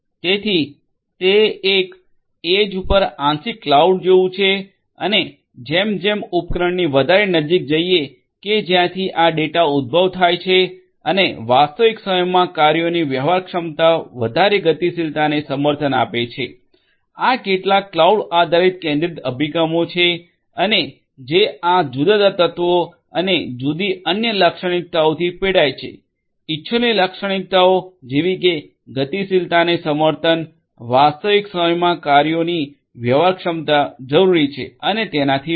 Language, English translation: Gujarati, So, it is sort of like cloud, partial cloud at the edge; that means, closer to closer to the devices from where this data are generated and real time operations feasibility greater mobility support, these are some of these cloud based all centralized approaches and how they suffer from these different you know these different elements and the different other characteristics, the desirable characteristics mobility support operations real time operations feasibility those are required and so on